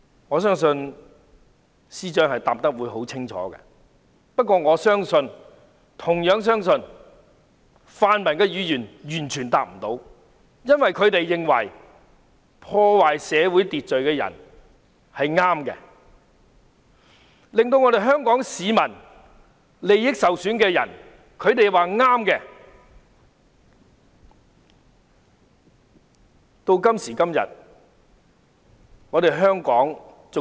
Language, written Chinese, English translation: Cantonese, 我相信司長會答得很清楚，但我同樣相信泛民議員完全答不上，因為他們認為破壞社會秩序的人是正確的，他們說令香港市民利益受損的人是正確的。, I believe the Chief Secretary will give a categorical answer . But I also believe that pan - democratic Members cannot give any answer because they believe that people who disrupt social order are correct . They say that the people who undermine Hong Kong peoples interests are correct